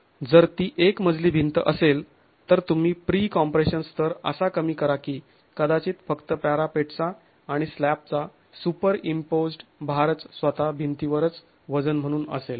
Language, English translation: Marathi, If it were a single storied wall, you reduce the pre compression levels such that probably only the weight of the parapet and the slab is the superimposed load on the wall itself